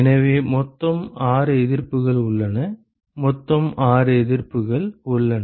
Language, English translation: Tamil, So, there are totally 6 resistances; there are totally 6 resistances